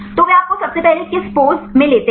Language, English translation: Hindi, So, what they you first take a pose